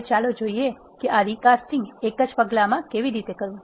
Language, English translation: Gujarati, Now, let us see how to do this recasting in a single step